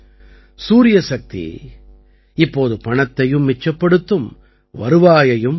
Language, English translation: Tamil, The power of the sun will now save money and increase income